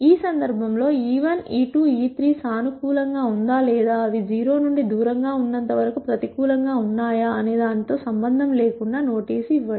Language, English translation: Telugu, In this case notice irrespective of whether e 1 e 2 e 3 are positive or negative as long as they are away from 0